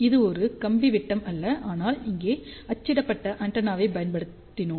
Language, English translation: Tamil, Here there is a not a wire diameter, but we have used a printed antenna over here